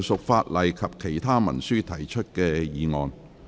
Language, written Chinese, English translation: Cantonese, 議員就附屬法例及其他文書提出的議案。, Members motions on subsidiary legislation and other instruments